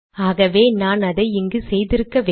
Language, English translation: Tamil, So I should have done this here